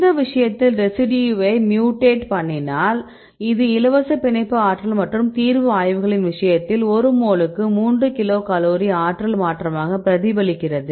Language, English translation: Tamil, In this case if you mutate this residue this will change the binding this free energy and this eventually reflected in the case of these solution studies like the free energy change of 3 kilocal per mole